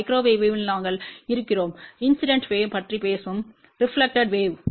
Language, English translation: Tamil, At microwave we are talk about incident wave reflected wave